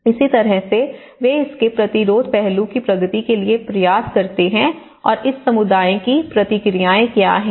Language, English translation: Hindi, So, in that way, they try to progress to resistance aspect of it and what are the responses of this community